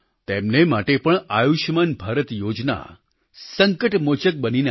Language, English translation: Gujarati, For her also, 'Ayushman Bharat' scheme appeared as a saviour